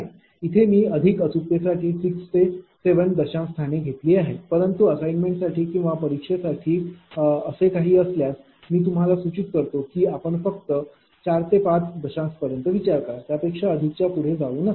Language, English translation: Marathi, I have taken up to 6 7 decimal places for more accuracy, but for assignment or for exam purpose if something like is there, I will suggest you consider only up to 4 or 5 decimal places, do not go beyond that right